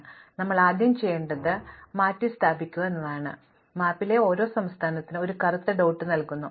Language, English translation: Malayalam, So, the first thing we do is that we replace, we do not replace, we actually assign to each state in the map, a black dot